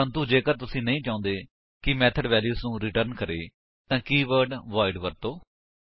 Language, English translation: Punjabi, But if you donât want the method to return a value then the keyword void is used